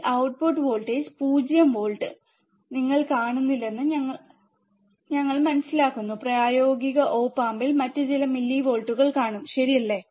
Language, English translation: Malayalam, And then we understand that we will not see this output voltage 0 volt in practical op amp we will see some millivolts, alright